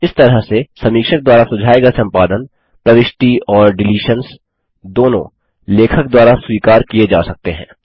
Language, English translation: Hindi, In this way, edits suggested by the reviewer, both insertions and deletions, can be accepted by the author